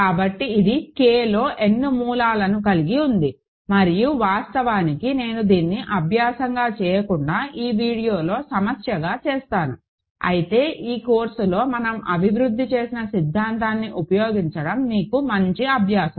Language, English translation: Telugu, So, it has n roots in K and actually, I am not going to do this as an exercise, but as a problem in this video, but it is a good exercise for you to do using the theory that we developed in this course this is aside for this ok